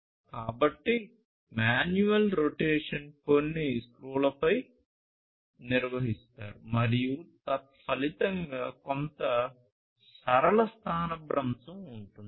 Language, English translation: Telugu, So, manual rotation is performed on some screws or whatever and consequently there is some linear displacement